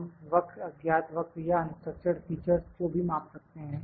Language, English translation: Hindi, We can also measure the curves, the unknown curves or the unstructured features